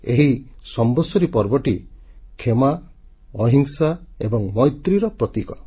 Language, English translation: Odia, The festival of Samvatsari is symbolic of forgiveness, nonviolence and brotherhood